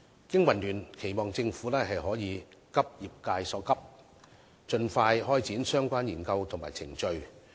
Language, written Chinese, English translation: Cantonese, 經民聯期望政府可以急業界所急，盡快開展相關研究和程序。, BPA hopes that the Government will share the industrys sense of urgency and expeditiously carry out the relevant study and procedures